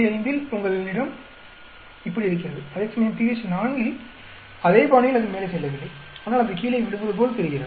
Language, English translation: Tamil, 5, you are having like this, whereas at pH is equal to 4, it is not going up in the same fashion, but it seems to be sort of falling down